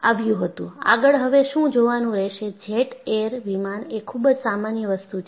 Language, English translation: Gujarati, See, what you will haveto look at is now, jet air planes are very common